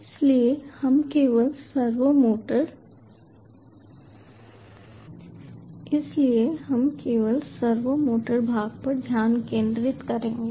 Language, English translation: Hindi, so will focus only on the servo motor part